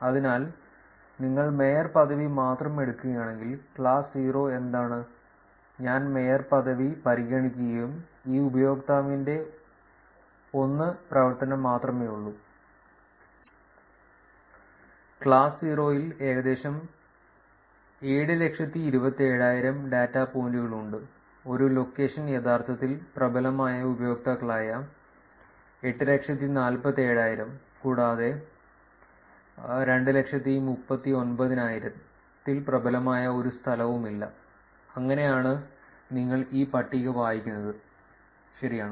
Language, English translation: Malayalam, So, which is if you take only the mayorship, what is the class 0, which is only if I consider mayorship and there is only 1 activity by this user, there are about 727,000 data points in class 0; 847,000 where that are users where one location is actually predominant; and 239,000 there is no location that is predominant, that is how you read this table, correct